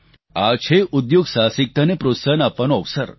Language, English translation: Gujarati, This is an opportunity for encouraging entrepreneurship